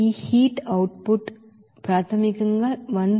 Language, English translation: Telugu, This heat output is basically that 1173